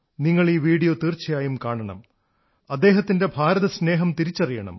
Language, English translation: Malayalam, You must watch both of these videos and feel their love for India